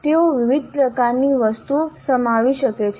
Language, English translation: Gujarati, They can contain different types of items